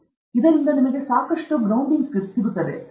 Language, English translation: Kannada, And so, you should have a lot of grounding